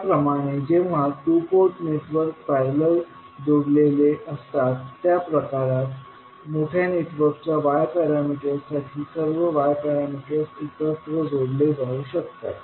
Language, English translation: Marathi, Similarly, in the case when the two port networks are connected in parallel, in that case Y parameters can add up to give the Y parameters of the larger network